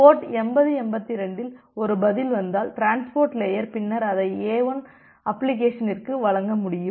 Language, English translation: Tamil, And if a reply comes in port 8082, the reply comes in port 8082, then the transport layer will be able to deliver it to the application A1